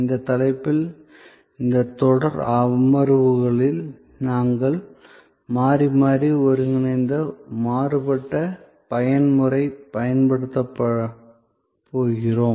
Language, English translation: Tamil, In this series of sessions on this topic, we are going to use alternately convergent, divergent mode